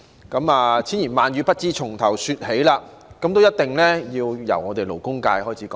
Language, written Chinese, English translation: Cantonese, 縱有千言萬語，亦不知從何說起，那麼我一定要由我們勞工界開始說起。, I honestly do not know where to start with the numerous thoughts in my mind . So I think I must begin by talking about the labour sector